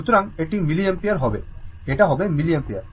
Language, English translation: Bengali, So, it will be your milliampere; it will be milliampere right